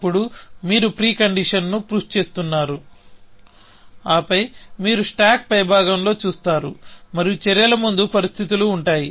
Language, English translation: Telugu, Then you are pushing the pre conditions, and then, you will look at the top of the stack, and there will be the pre conditions of the actions